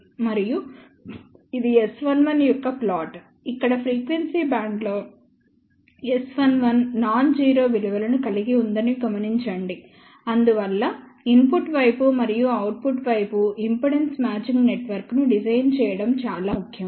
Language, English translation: Telugu, And this is the plot for the S 11, where also noticed that S 11has a non zero value over the frequency band, hence it is important to design impedance matching network in the input side as well as at the output side